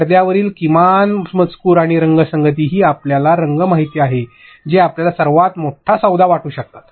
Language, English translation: Marathi, Minimal text on screen and also color scheme you know you may feel that colors what is the big deal with that